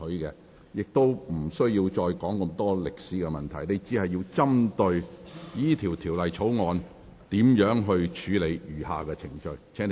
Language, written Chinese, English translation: Cantonese, 請你不要再長篇論述歷史，而應集中討論如何處理《條例草案》的餘下程序。, Please stop talking about history at great length . Instead you should focus on discussing how to deal with the remaining proceedings of the Bill